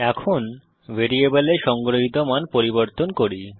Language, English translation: Bengali, Now let us change the value stored in the variable